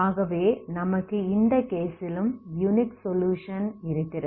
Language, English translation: Tamil, So you have again unique solution, so in this case, okay